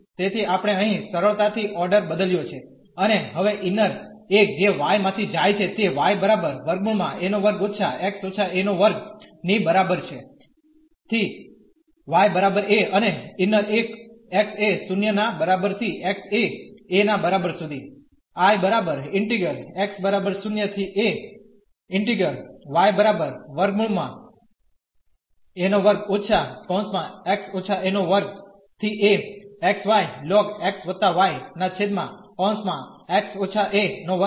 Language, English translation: Gujarati, So, we have change the order here easily and now the inner one goes from y is equal to a square minus x minus a square to y is equal to a and the inner one goes from x is equal to 0 to x is equal to a